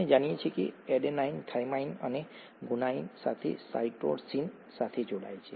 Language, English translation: Gujarati, We know that adenine pairs up with thymine and guanine with cytosine